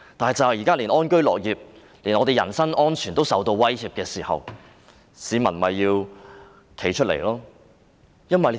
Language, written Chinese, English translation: Cantonese, 但現在當大家連安居樂業、人身安全也受到威脅，市民就要站出來。, However now that even the peoples wish to live in peace and work with contentment and their personal safety are under threat members of the public have got to come forward